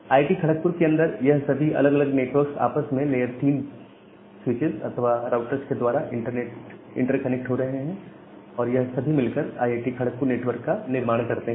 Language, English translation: Hindi, So, all this different network which are there inside IIT, Kharagpur, they are getting interconnected with each other with this layer 3 switches or routers and they form the entire IIT, Kharagpur network